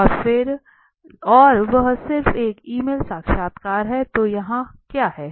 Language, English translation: Hindi, And that is just an email interview so what is here